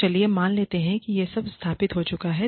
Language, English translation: Hindi, So, let us assume that, all of that has been established